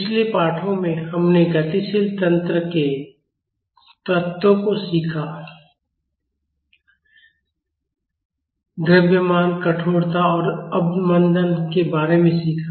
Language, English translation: Hindi, In the previous lessons, we learned the elements of a dynamic system, we learned about mass, stiffness and damping